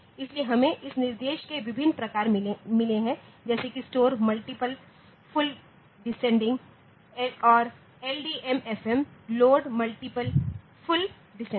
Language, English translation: Hindi, So, we have got different variants of this instruction like store multiple full descending and LDMFM, load multiple full descending